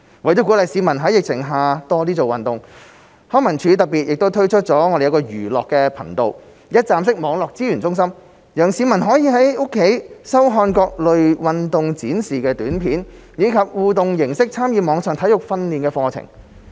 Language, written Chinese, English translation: Cantonese, 為了鼓勵市民在疫情下多做運動，康文署特別推出"寓樂頻道"一站式網上資源中心，讓市民可以在家收看各類運動示範短片，以及以互動形式參與網上體育訓練課程。, In order to encourage people to exercise more during the epidemic LCSD has launched the Edutainment Channel a one - stop online platform that provides numerous videos on online sports demonstrations and allows people to take part in online interactive sports training programmes